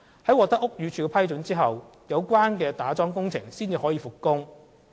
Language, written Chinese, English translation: Cantonese, 在獲得屋宇署批准後，有關打樁工程才可復工。, Piling works may resume only when approval is given by BD